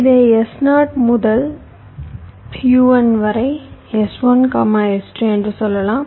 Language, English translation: Tamil, let say this: one from s zero to u one, then s one s two